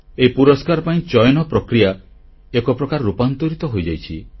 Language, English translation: Odia, In a way, the selection of these awards has been transformed completely